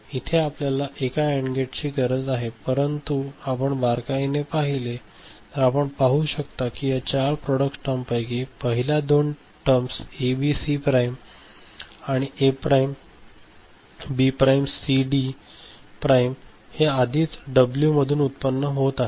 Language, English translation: Marathi, We need another AND gate, but if you look closely, you can see that out of this four product terms that are there the first one first two ABC prime and A prime, B prime C D prime is already getting generated as W